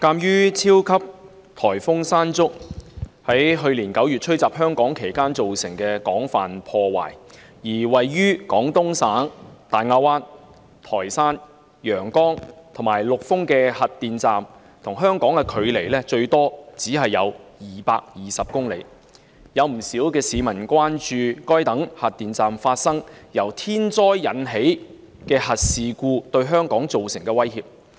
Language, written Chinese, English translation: Cantonese, 鑒於超強颱風山竹於去年9月吹襲香港期間造成廣泛破壞，而位於廣東省大亞灣、台山、陽江及陸豐的核電站與香港的距離最多只有220公里，有不少市民關注該等核電站發生由天災引致的核事故對香港造成的威脅。, In view of the extensive damage caused by super typhoon Mangkhut during its onslaught in Hong Kong in September last year and the fact that the nuclear power stations in Daya Bay Taishan Yangjiang and Lufeng of the Guangdong Province are at the farthest only 220 kilometres away from Hong Kong quite a number of members of the public are concerned about the threats posed to Hong Kong by nuclear incidents occurring at such nuclear power stations caused by natural disasters